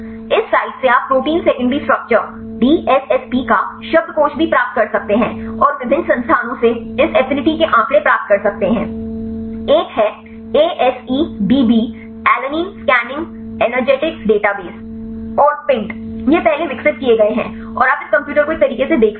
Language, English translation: Hindi, Also you can get the dictionary of protein secondary structure DSSP from this site and you can get this affinity data from different other resources, one is the ASEdb alanine scanning energetics database and the PINT, these are developed earlier and you can see this computer a ways is also contains the energetics of mutation protein interaction